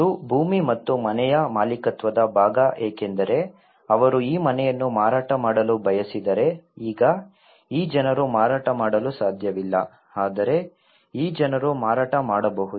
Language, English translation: Kannada, And the ownership part of the land and the house because if they want to sell this house now these people cannot sell but these people can sell